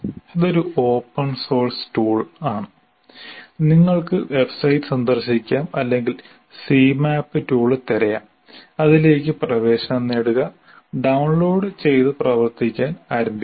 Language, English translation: Malayalam, It's an open source tool and you can go to the same website or you just say CMAP tool and you can get access to that and download and start working